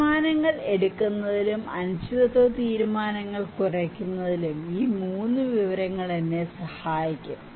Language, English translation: Malayalam, These 3 information would really help me to reduce the decision and making in uncertainty and then I would make decisions